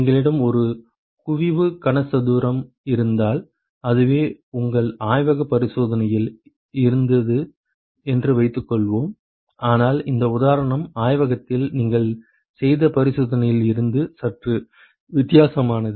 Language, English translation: Tamil, So suppose if we have a concentric cube which is what you had in your lab experiment, but this example is slightly different from the experiment that you have done in the lab